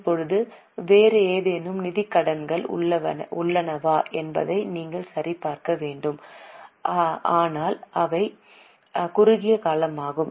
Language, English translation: Tamil, Now perhaps you have to check whether there are any other financial liabilities but which are short term